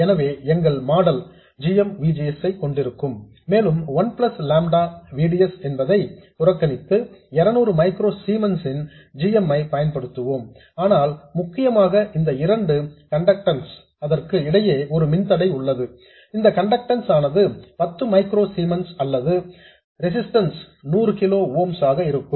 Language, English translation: Tamil, So, our model will consist of GM VGS and we will continue to use GM of 200 microcemen, ignoring the 1 plus lambda VDS term but significantly we have a resistor here between these two or a conductance whose conductance is 10 microcemens or whose resistance is 100 kilo ooms